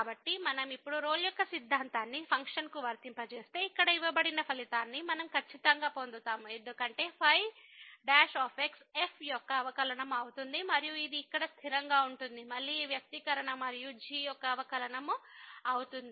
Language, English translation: Telugu, So, if we apply the Rolle’s theorem now, to the function then we will get exactly the result which is given here because the will be the derivative of and then this is a constant here minus again this expression and the derivative of